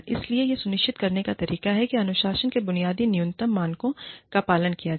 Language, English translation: Hindi, So, one of the ways in ensuring, that the basic minimum standards of discipline, are adhered to